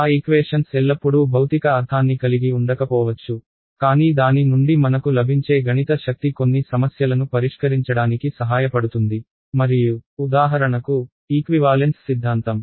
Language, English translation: Telugu, Those equations may not always have a physical meaning, but the mathematical power that we get from it helps us to solve some problems and that will be covered in for example, in the equivalence theorems right